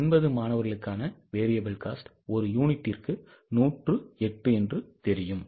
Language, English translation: Tamil, And we know that variable cost is 108 per unit